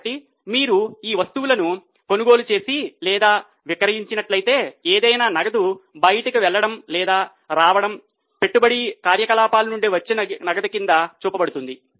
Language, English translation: Telugu, So, if you have purchased or sold these items, any cash going out or coming in would be shown under cash from investing activities